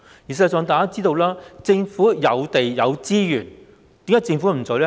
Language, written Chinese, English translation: Cantonese, 事實上，大家知道政府有地、有資源，為何不做呢？, In fact we know that the Government has the land and the resources . Why not do it?